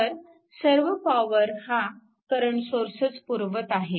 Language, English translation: Marathi, So, all the power supplied by the current source only right